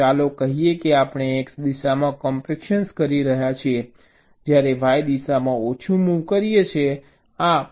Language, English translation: Gujarati, so let say we are performing x direction compaction while making small moves in the y direction